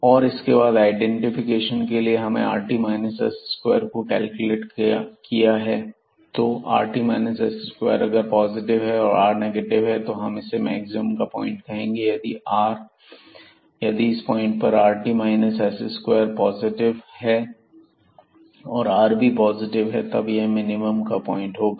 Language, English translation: Hindi, And then for the identification we have realized that if this rt minus s square, so rt and minus s square, this is positive and this r is negative, then we have the point of a maximum